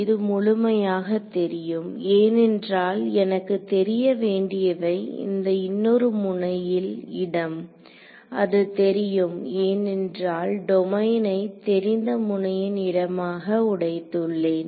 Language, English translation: Tamil, This guy is fully known because all that I need to know to specify this other node location, which are known because I broke up the domain into known node locations